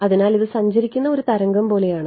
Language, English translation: Malayalam, So, it is like it is a wave that is travelling right